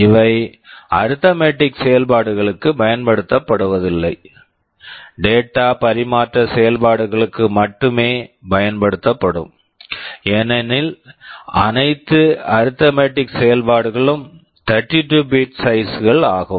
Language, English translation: Tamil, And these are not used for arithmetic operations, only for data transfer operations because all arithmetic operations are only 32 bits in size